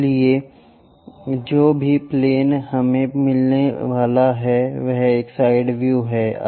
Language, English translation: Hindi, So, whatever the plane we are going to get on that we are going to have is a side view